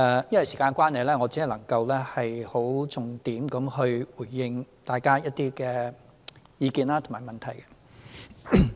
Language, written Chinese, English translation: Cantonese, 由於時間關係，我只能夠重點回應大家的一些意見和問題。, Due to time constraints I would only focus my response to the views and questions of Members